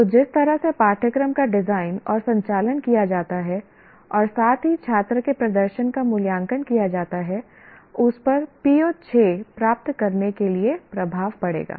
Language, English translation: Hindi, So the way the course is designed and conducted and also the student performance is evaluated will have an impact on to what extent PO6 is attained